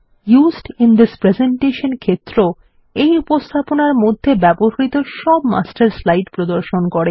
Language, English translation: Bengali, The Used in This Presentation field displays the Master slides used in this presentation